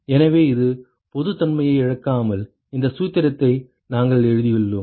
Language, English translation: Tamil, So, this is without loss of generality, we have written this formula